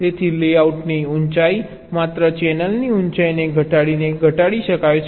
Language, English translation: Gujarati, so the height of the layout can be minimized only by minimizing the channel height